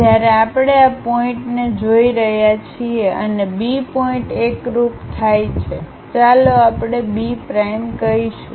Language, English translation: Gujarati, When we are looking at this this point and B point coincides, let us call B prime